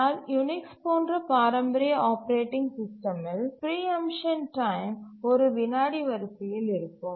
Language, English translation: Tamil, But if you look at the traditional operating systems such as the Unix, the preemption time is of the order of a second